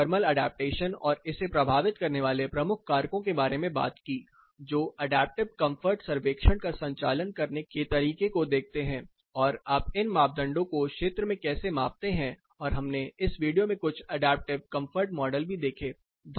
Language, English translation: Hindi, Then we talked about thermal adaptation and major factors influencing it, which looked at how to conduct an adaptive comfort survey and how do you measure this parameters in field and we also looked at few adaptive comfort models in this video